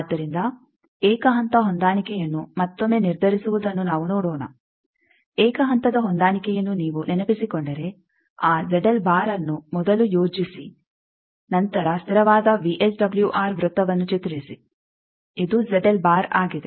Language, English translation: Kannada, So, let us see that again determine single step matching if you remember single step matching that Z L bar you first plot then draw the constant VSWR circle as we have done that this is the Z L bar